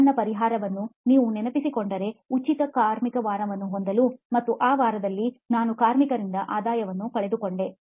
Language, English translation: Kannada, If you remember my solution, just to have free labour week and that week I actually lost revenue from labour